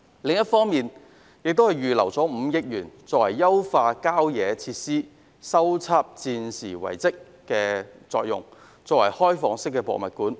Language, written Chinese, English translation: Cantonese, 另一方面，司長亦預留5億元優化郊野公園設施，以及修葺戰時遺蹟作開放式博物館。, On the other hand FS has also set aside 500 million to carry out enhancement works on country park facilities and revitalize some wartime relics by converting them into open museums